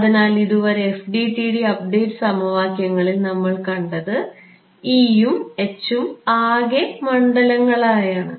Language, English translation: Malayalam, So, in the so, far what we have seen in the FDTD update equations, the E and H are total fields right